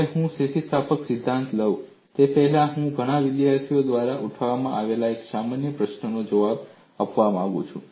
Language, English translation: Gujarati, Now, before I take up theory of elasticity, I would like to answer a common question raised by many students